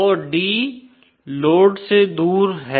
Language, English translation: Hindi, So d is away from the load